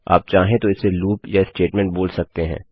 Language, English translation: Hindi, You can choose to call it a loop or a statement